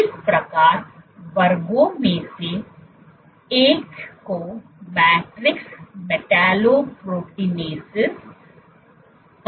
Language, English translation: Hindi, So, one of thus classes are called matrix metallo proteinases